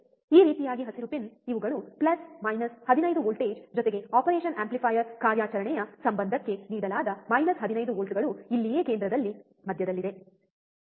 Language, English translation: Kannada, This way green pin these are plus minus 15 voltage, plus minus 15 volts given to the operation amplifier operational affair is, right over here in the center, right is in the center